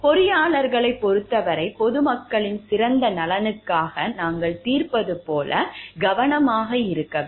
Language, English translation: Tamil, For engineers we have to be careful like we solve at the best interest of the public at large